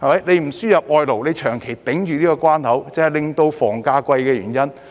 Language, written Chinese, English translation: Cantonese, 不輸入外勞，長期封掉這關口，便是導致房價高昂的原因。, A protracted ban on the importation of foreign labour has contributed to the high property prices